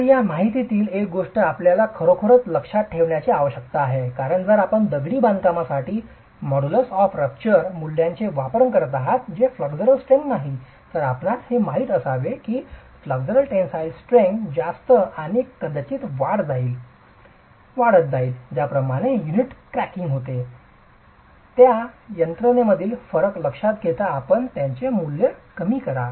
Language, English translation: Marathi, So, this information is something that you really need to keep in mind because if you are using the model as a rupture value for masonry which is not in flexual tension, then you should know that the flexual tensile strength is going to be higher and probably reduce the value in a way that you account for this difference between the mechanisms in which cracking of the unit is happening